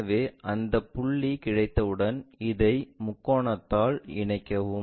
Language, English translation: Tamil, So, once we have that point connect this by triangle